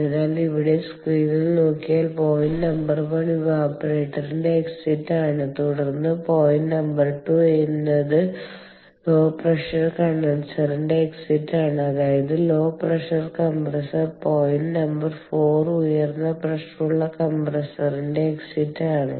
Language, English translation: Malayalam, so if we look at the screen over here, the point number one is the exit of the evaporator, ok, then point number two is the exit of the low pressure condenser, i mean low pressure compressor